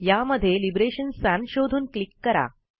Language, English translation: Marathi, Search for Liberation Sans and simply click on it